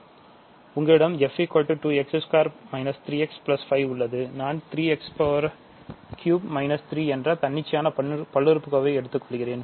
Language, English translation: Tamil, So, let us you have x f is 2 x square minus 3 x plus 5, I am just taking arbitrary polynomials and you have 3 x cubed minus 3 let us say ok